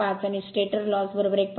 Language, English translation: Marathi, 5 and stator loss is 1